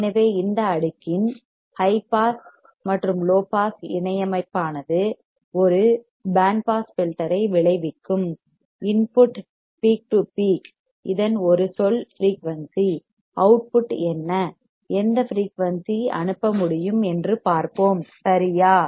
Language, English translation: Tamil, So, high pass and low pass combination of this cascading of this we will result in a band pass filter; input peak to peak it is a term frequency; We will see what the output, which frequency it is can pass alright